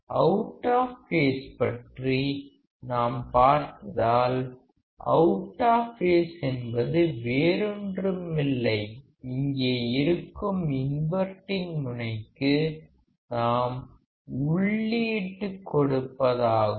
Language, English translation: Tamil, Let us see when you talk about out of phase; out of phase is nothing, but when we apply the input to the inverting terminal which is over here